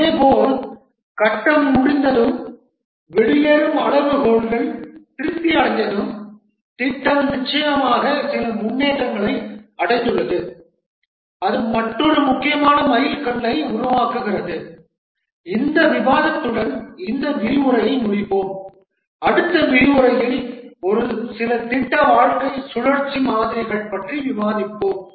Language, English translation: Tamil, When there is a phase starts after the phase entry criteria has been met an important milestone is met similarly when the phase completes and the exit criteria are satisfied the project definitely has made some progress and that forms another important milestone with this discussion we will conclude this lecture and in the next lecture we will discuss a few project lifecycle models